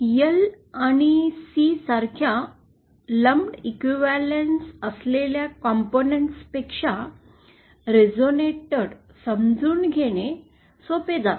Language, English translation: Marathi, It is easier to realise a resonator than say lumped equivalence of or the equivalence of lumped components like L and C